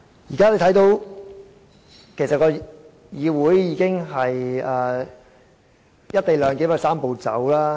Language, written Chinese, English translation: Cantonese, 現在大家可以看到，議會已遵行"一地兩檢"的"三步走"程序。, Now Members can see that the Legislative Council has already complied with the Three - step Process for the co - location arrangement